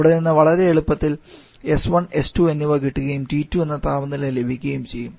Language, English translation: Malayalam, We can easily with this S1 and S2 in each other and from there we can identify the value of temperature T2